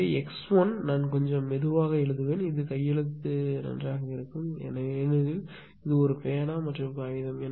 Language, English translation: Tamil, So, x 1 is equal to I will write little bit slowly such that handwriting will be better right because this is a pen and paper ah